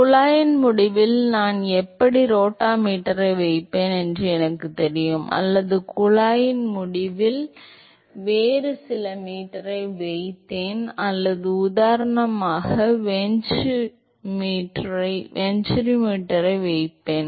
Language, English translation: Tamil, Let us say I know how I put a rotameter at the end of the pipe or I put some other meter at the end of the pipe or a venturimeter for example